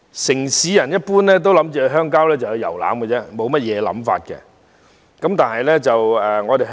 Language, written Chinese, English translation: Cantonese, 城市人一般僅視鄉郊為遊覽地方，沒有其他特別想法。, Urbanites generally regard rural areas as places where they can tour around and there is no special thought other than this